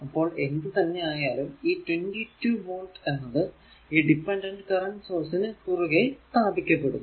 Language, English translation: Malayalam, So, whatever 22 volt is there that will be impressed across this dependent current source